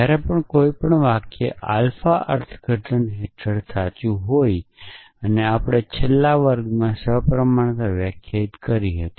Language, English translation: Gujarati, So, whenever a sentences alpha is true under an interpretation and we defined the symmetric in the last class